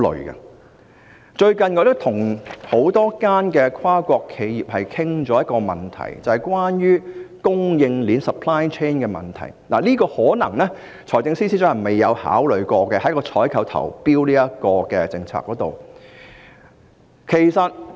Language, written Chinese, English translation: Cantonese, 我最近曾與多間跨國企業討論一個問題，也就是關於供應鏈的問題，這可能是財政司司長在採購和投標的政策上未有考慮的。, Recently I have had discussions with a number of multinational corporations on an issue relating to the supply chain which may not have been taken into consideration by the Financial Secretary in the context of the procurement and tendering policies